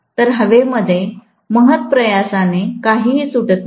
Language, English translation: Marathi, So, hardly anything escapes into air